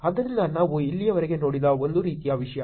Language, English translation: Kannada, So, that is a kind of thing that we have seen until now